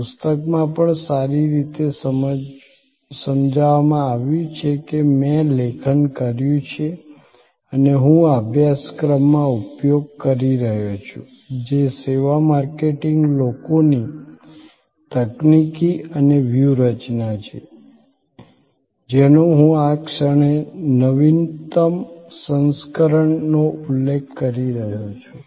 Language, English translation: Gujarati, It is also well explained in the book that I have go authored and I am using in this a course which is a services marketing people technology and strategy I am referring at this moment to the latest edition